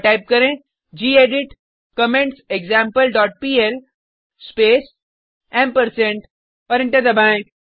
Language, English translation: Hindi, And Type gedit commentsExample dot pl space and press Enter